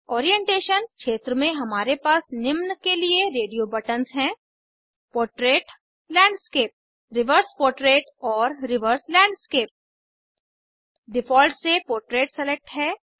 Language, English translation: Hindi, In the Orientation field we have radio buttons for Portrait, Landscape, Reverse portrait and Reverse landscape By default, Portrait is selected